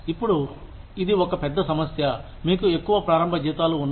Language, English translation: Telugu, Now, this is one big problem, you have higher starting salaries